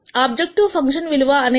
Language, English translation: Telugu, The value of the objective function was minus 2